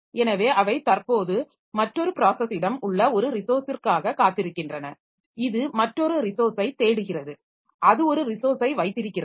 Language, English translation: Tamil, So they are waiting for one resource which is currently held by another process and looking for another resource, looking for that resource and it is holding one resource